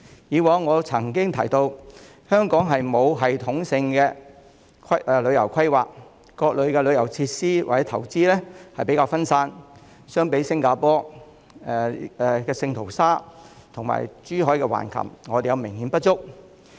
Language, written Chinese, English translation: Cantonese, 以往我曾經提到，香港沒有系統性的旅遊規劃，各類旅遊設施或投資比較分散，相比新加坡聖淘沙和珠海橫琴島，我們都明顯不足。, As I have said before there is no systematic planning on tourism in Hong Kong . Tourism facilities and investments are relatively scattered which is obviously inadequate when compared with Sentosa in Singapore and Hengqin Island in Zhuhai